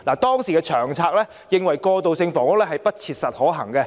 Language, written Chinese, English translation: Cantonese, 當時的《長策》認為過渡性房屋不切實可行。, According to the LTHS then transitional housing was not feasible